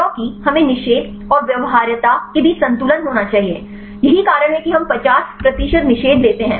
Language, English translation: Hindi, Because we need to have a balance between the inhibition and the viability, this the reason we take the is 50 percent inhibition